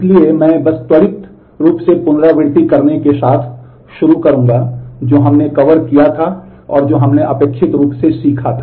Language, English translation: Hindi, So, I would just start with doing a quick recap of what all did we cover and what we expectedly learnt